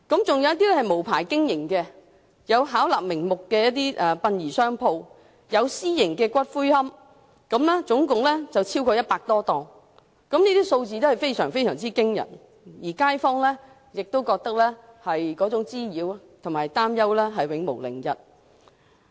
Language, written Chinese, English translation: Cantonese, 再加上無牌經營的情況，包括巧立名目的殯葬商鋪及私營龕場，殯葬經營者總數超過100多間，數字相當驚人，對街坊構成滋擾和擔憂，使他們永無寧日。, Combined with unlicensed operators including those funeral shops and private columbaria which have introduced various types of products there are a total of more than 100 undertakers in the district . This number is quite alarming . They have caused nuisance which worries the local residents depriving them of any peaceful moments